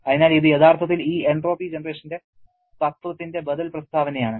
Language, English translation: Malayalam, So, this actually is an alternative statement of this principle of entropy generation